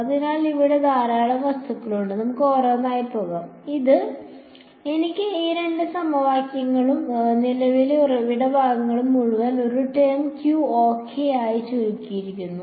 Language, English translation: Malayalam, So, lot of material here, let us go one by one; I have these two equations the entire current source part has been condensed into one term Q ok